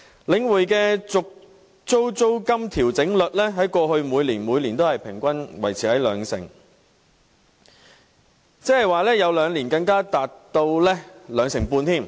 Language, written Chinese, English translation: Cantonese, 領展的續租租金調整率在過去5年也每年平均維持在兩成，有兩年更達兩成半。, Over the past five years the rental reversion rate of Link REIT stood on average at 20 % per year and it even reached 25 % in two of them